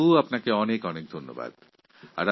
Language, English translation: Bengali, Dilip ji, thank you very much